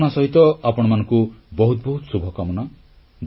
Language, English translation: Odia, With these feelings, I extend my best wishes to you all